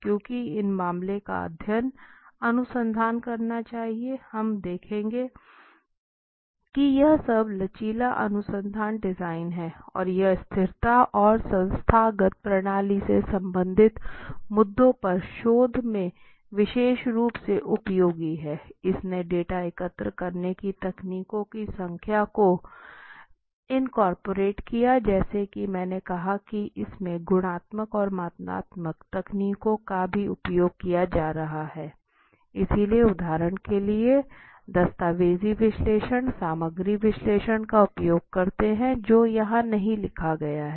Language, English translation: Hindi, Just we will see why this case study research why should you do it basically as we discussed it is a most flexible research design it is one of the most flexible right and it is particularly useful in researching issues related to sustainability and institutional systems it is incorporated the number of data gathering techniques as I said it has qualitative techniques also being used and quantitative, so you use for example documentary analysis content analysis which is not written over here